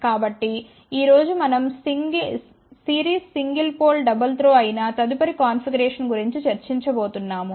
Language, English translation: Telugu, So, today we are going to discuss about next configuration which is series single pole double throw